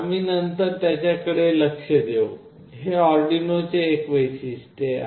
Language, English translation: Marathi, We will look into that later, this is one of the feature of Arduino